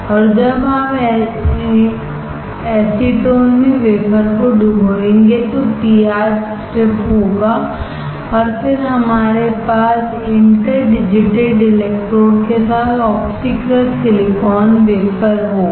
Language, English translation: Hindi, And when you dip the wafer in acetone the PR will give a strip, and then we will have the oxidized silicon wafer with interdigitated electrodes